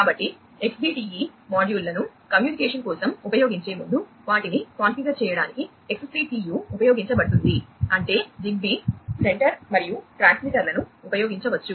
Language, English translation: Telugu, So, XCTU will be used to configure the Xbee modules before they can be used for communication; that means, the ZigBee center and the transmitters could be used